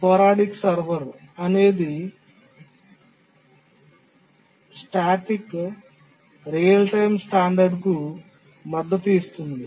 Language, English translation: Telugu, The sporadic server is the one which is supported by the POGICs real time standard